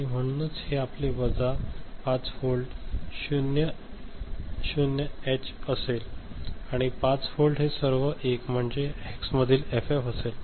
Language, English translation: Marathi, And so this is your minus 5 volt will be your 00H and plus 5 volt will be your all 1, FF in Hex, right